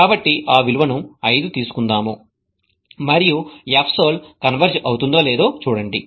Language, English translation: Telugu, So, let us take that value as 5 and see whether the F solve converges or not